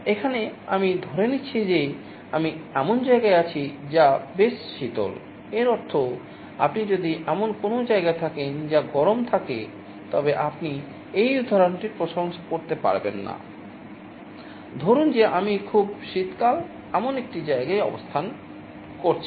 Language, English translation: Bengali, Here I am assuming that I am in a place which is quite cold, it means if you are residing in a place which is hot you cannot appreciate this example, suppose I am staying in a place which is very cold